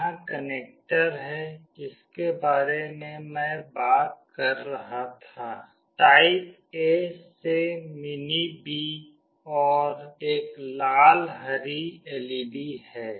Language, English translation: Hindi, Here is the connector I was talking about, type A to mini B, and there is a red/green LED